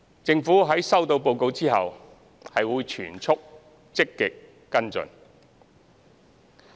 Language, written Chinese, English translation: Cantonese, 政府在收到報告後，會全速積極跟進。, Upon receiving the report the Government will actively follow it up at full throttle